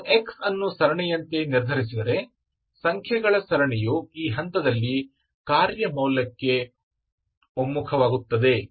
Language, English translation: Kannada, You fix x as the series, the series of numbers, this converges to a function value at the point